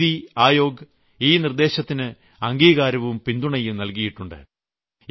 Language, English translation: Malayalam, This Mission is being promoted by the Niti Aayog